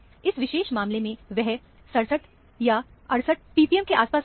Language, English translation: Hindi, In this particular case, it comes around 67, 68 p p m or so